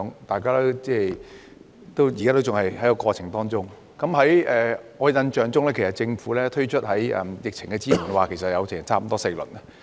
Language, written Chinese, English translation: Cantonese, 大家現時仍然身處過程之中，而在我的印象中，政府推出了4輪疫情支援措施。, We are still in the course of the pandemic and my impression is that the Government has introduced four rounds of support measures in the light of the epidemic situation